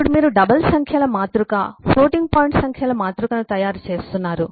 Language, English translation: Telugu, and now you are making matrix of double numbers, floating point numbers